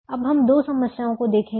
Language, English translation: Hindi, we will now look at two problems in this course